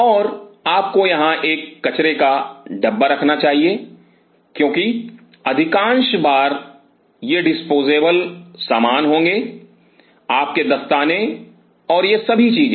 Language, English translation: Hindi, And you should have a trash air because most of the time these will be disposable stuff, your gloves and all these things